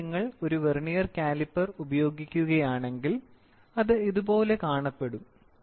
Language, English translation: Malayalam, So, if you put a vernier caliper, it will look something like this